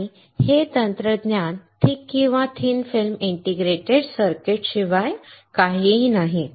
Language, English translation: Marathi, And this technology is nothing but thick or thin film integrated circuit